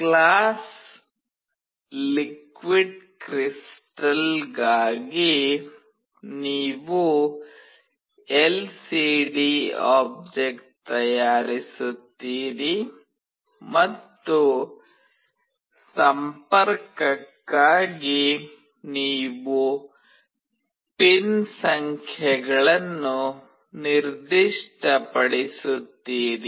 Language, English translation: Kannada, For class LiquidCrystal, you make an object lcd and you just specify the pin numbers for connection